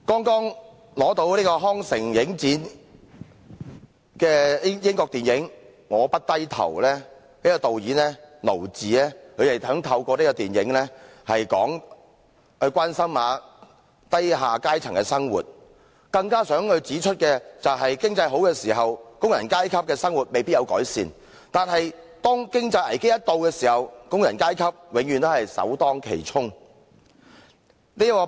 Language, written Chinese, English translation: Cantonese, 剛在康城影展獲獎的英國電影"我，不低頭"的導演堅盧治，想透過這套電影關心低下階層的生活，更想指出在經濟好時，工人階級的生活未必有所改善，但每當遇到經濟危機，工人階級永遠首當其衝。, A British film I Daniel BLAKE just won an award at the Cannes Festival . Ken LOACH the film director focuses with compassion on the people at the lower echelons in his film . He wants to bring home the message that the working classes often cannot benefit from economic booms but they are always the first to be hard - hit at times of economic crises